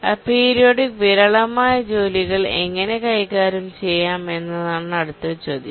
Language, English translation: Malayalam, The next question comes is that how do we handle aperiodic and sporadic tasks